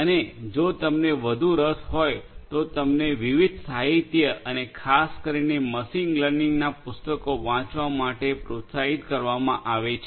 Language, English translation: Gujarati, And, in case you are more interested you know you are encouraged to go through different literature and particularly the machine learning books